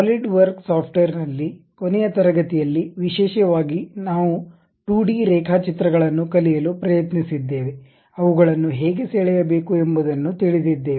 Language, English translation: Kannada, In the Solidworks software, in the last class especially we tried to learn 2D sketches, how to draw them